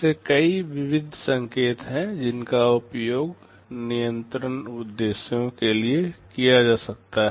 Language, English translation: Hindi, There are many such miscellaneous signals that are used for control purposes